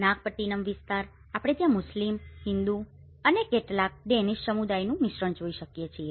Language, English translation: Gujarati, The Nagapattinam area, we can see a mix of Muslim, Hindu and also some of the Danish communities live there